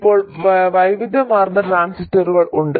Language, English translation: Malayalam, Now there is a wide variety of transistors